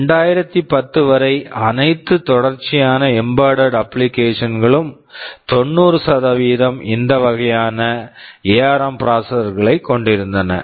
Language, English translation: Tamil, Till 2010, 90 percent % of all serious embedded applications hads this kind of ARM processors inside them